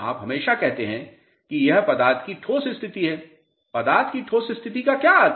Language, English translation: Hindi, You always say that this is the solid state of the material, what is the meaning of solid state of the material ok